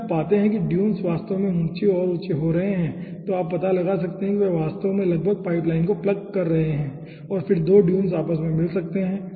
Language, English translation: Hindi, okay, if you find out the dunes are actually getting higher and higher, then you can find out those are actually almost plugging the pipeline and then 2 dunes can marged also among themselves